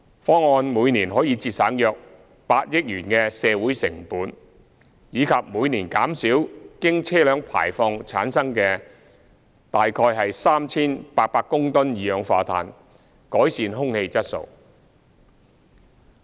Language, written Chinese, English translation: Cantonese, 方案每年可節省約8億元的社會成本，以及每年減少經車輛排放產生的約 3,800 公噸二氧化碳，改善空氣質素。, The proposal will bring about some 800 million of social cost savings per year and reduce carbon dioxide from vehicle emissions by about 3 800 tonnes per year thus improving air quality